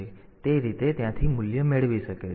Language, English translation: Gujarati, So, that way so, it can it can get the value from there